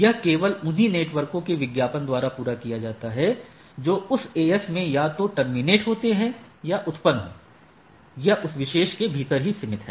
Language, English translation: Hindi, This is accomplished by advertising only those networks, which are either trans terminating or originating that AS right So, it is confined within that particular AS